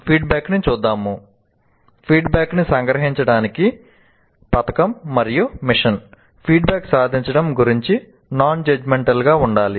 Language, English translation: Telugu, Now to summarize the feedback, medal and mission feedback should be non judgmental about attainment